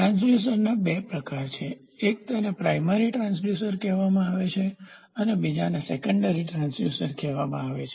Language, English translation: Gujarati, There are two types of transducers; one it is called as primary transducer, the other one is called as secondary transducer